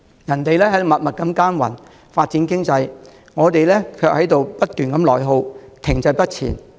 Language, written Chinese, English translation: Cantonese, 人家默默耕耘，發展經濟，我們卻在不斷內耗，停滯不前。, While other places are quietly striving for economic development we are stuck in continuous internal attrition and remain stagnant